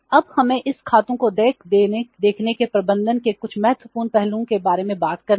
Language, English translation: Hindi, Now, we have to talk about some important aspects of management of see this accounts payable